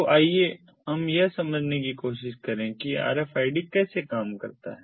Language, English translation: Hindi, so let us try to understand how rfid works